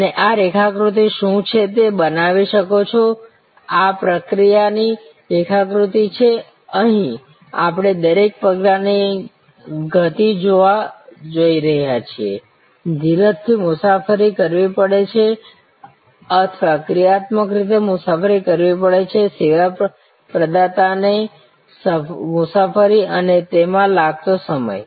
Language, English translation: Gujarati, And can create what is this chart, this is the process chart here we are looking at each step the motion, the distance the patience has to travel or the operative has to travel, service provider has to travel and the time it takes